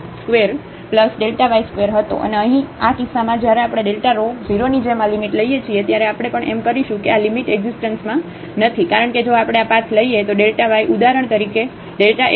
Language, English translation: Gujarati, And, in this case when we take this limit as delta rho goes to 0 we will also that this limit does not exist because if we take this path delta y is equal to delta x for example, here